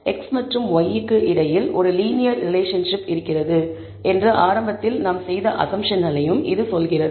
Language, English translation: Tamil, It also tells us the assumption that we made initially to begin with, that there is a linear relationship between x and y